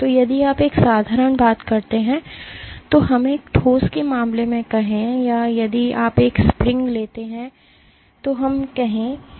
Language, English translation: Hindi, So, if you take a simple thing let us say in case of a solid or if you take a spring let us say